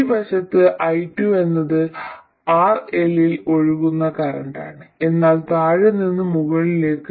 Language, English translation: Malayalam, And on this side I2 is the current flowing in RL but from bottom to top